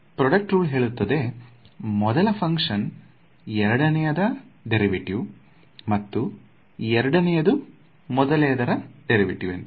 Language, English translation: Kannada, So, product rule says first function derivative a second function; second function, derivative of first function straightforward